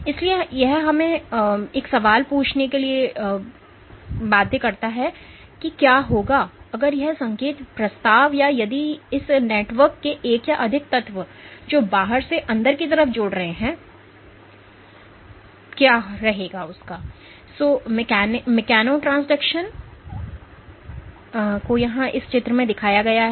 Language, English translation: Hindi, So, this also brings us to ask to the question that what would happen, if this signal proposition or if one or more elements of this network which connect the outside to the inside is perturbed